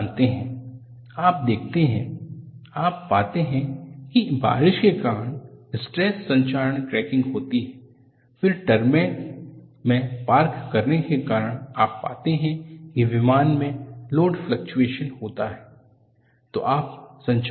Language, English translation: Hindi, You know, you look at, you find because of rain, stress corrosion cracking takes place, then because of taxing in the tar mark, you find there are load fluctuations induced on the aircraft